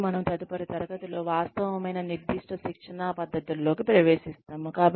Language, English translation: Telugu, And, we will get into the, actual specific training methods, in the next class